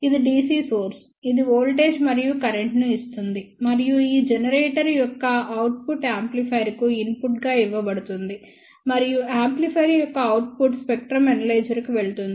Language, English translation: Telugu, This is the DC source which gives voltage and current of course and the output of this generator is given as input to the amplifier and output of the amplifier goes to the spectrum analyzer which is not shown in this particular picture